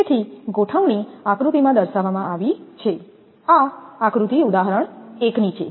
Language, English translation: Gujarati, So, the arrangement is shown in figure, this is figure example 1